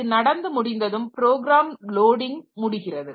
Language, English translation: Tamil, And once that is done, my program loading is over